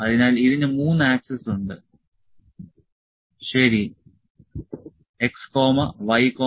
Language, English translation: Malayalam, So, it has 3 axes, ok: x, y and z